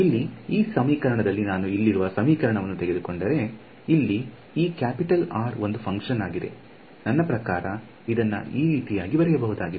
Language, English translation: Kannada, So, in this equation over here if I take this equation, this capital R over here is a function of; I mean this is actually written like this right